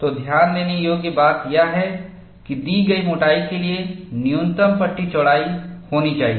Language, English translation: Hindi, So, the idea to notice, for a given thickness, there has to be a minimum panel width